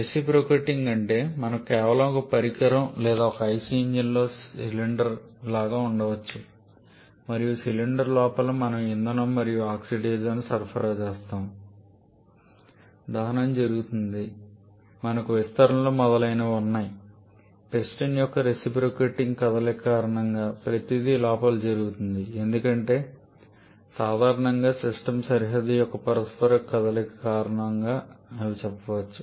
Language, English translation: Telugu, Reciprocating means where we have just one device or like a cylinder in a in a IC engine and inside the cylinder we supply the fuel and oxidizer we have the combustion we have the expansions etc everything happening inside this because of the reciprocating motion of some piston